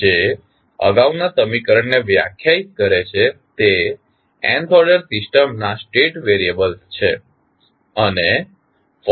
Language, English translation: Gujarati, Which define the previous equation are the state variables of the nth order system